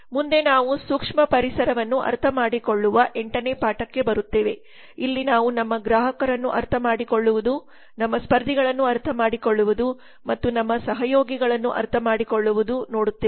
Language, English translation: Kannada, next we come to the 8th lesson which is understanding the micro environment here we see the understanding our customers understanding our competitors and understanding our collaborators thank you very much for listening have a good day